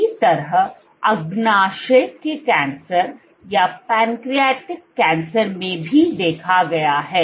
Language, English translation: Hindi, Similarly, was the case of pancreatic cancer